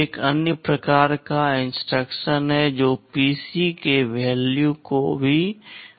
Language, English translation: Hindi, There is another kind of an instruction that also changes the value of PC